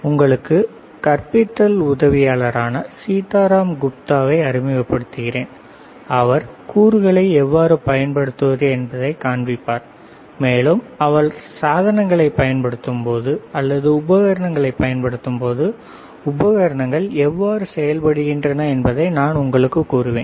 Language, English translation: Tamil, So, let me introduce the teaching assistant, Sitaram Gupta, he will be showing you how to use the components, and as and when he is using the devices or using the equipment, I will tell you how the equipment works how you can use the devices, all right